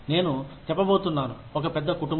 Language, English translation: Telugu, I am going to say that, one big family